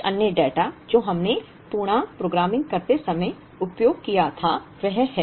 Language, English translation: Hindi, Some other data that we used while doing the integer programming is that